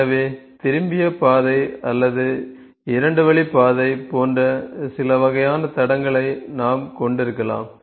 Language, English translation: Tamil, So, we can have certain kinds of track, we can even have the turned track or we can even have two lane track